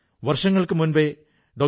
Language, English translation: Malayalam, Years ago, Dr